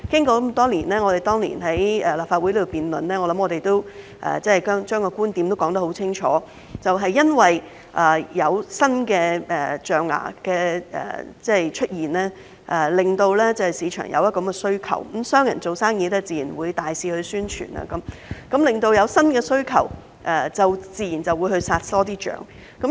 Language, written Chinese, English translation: Cantonese, 我們當年曾在立法會進行辯論，相信相關觀點已經說得很清楚，就是由於有新的象牙出現，令市場出現需求，商人做生意自然會大肆宣傳，因應新的需求，自然就會多殺一些象。, Our viewpoints should have been expressly elaborated during a debate held in the Legislative Council back then . As the emergence of new ivory will create market demands businessmen will definitely launch massive advertising campaigns and more elephants will be killed as a result of the new demands